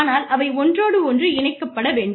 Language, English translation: Tamil, But, they need to be inter twined